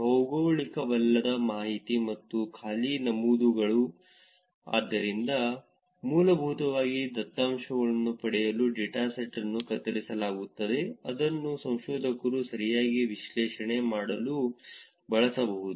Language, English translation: Kannada, Non geographic information and empty entries, so essentially the dataset was pruned to get data which the researchers can actually use to do the analysis right